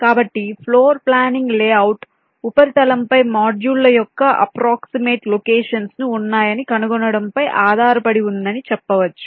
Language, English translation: Telugu, so you can say, floor planning concerns finding the approximate locations of the modules on the layout surface